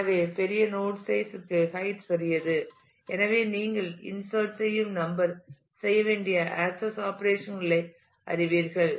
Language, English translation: Tamil, So, larger the node size is smaller is a is a height and therefore, the number of insertion number of you know access operations that need to be performed